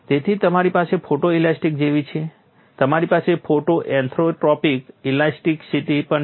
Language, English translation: Gujarati, So, you have like photo elasticity you also have photo orthotropic elasticity